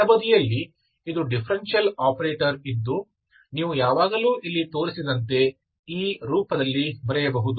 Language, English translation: Kannada, This, these are differential operator left hand side, you can always write in this form